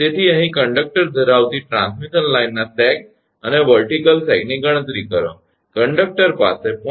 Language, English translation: Gujarati, So, here the calculate the sag and vertical sag of a transmission line having conductor having conductor is diameter of 0